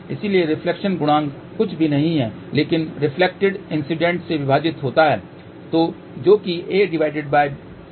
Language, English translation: Hindi, So, reflection coefficient is nothing but reflected divided by incident